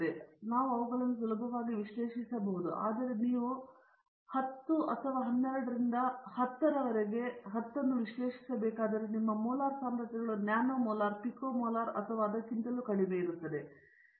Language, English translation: Kannada, So, therefore, we can easily analyze them whereas, when you have to analyze 10 to the power of 12 or 10 to the 15, your molar concentrations becomes a nano molar, pico molar or even lower than that